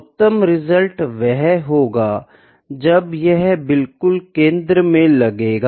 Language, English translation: Hindi, The perfect result should have been when it hit exactly at the centre